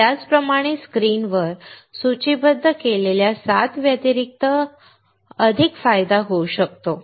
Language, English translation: Marathi, In the same way, there can be more advantage other than 7 listed on the screen